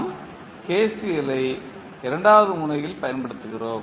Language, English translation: Tamil, We apply KCL at node 2